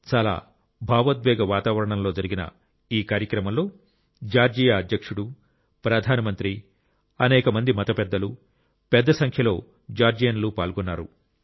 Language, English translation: Telugu, The ceremony, which took place in a very emotionally charged atmosphere, was attended by the President of Georgia, the Prime Minister, many religious leaders, and a large number of Georgians